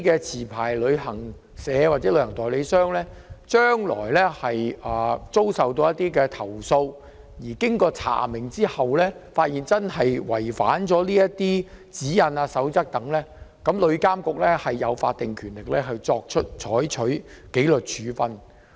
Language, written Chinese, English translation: Cantonese, 持牌旅行社或旅行代理商將來如遭受投訴，經查明後發現確實違反有關指引或守則，旅監局具法定權力採取紀律處分。, TIA will have statutory powers to take disciplinary actions against licensed travel agencies or travel agents upon confirming the complaints about their actual violation of relevant guidelines or codes in the future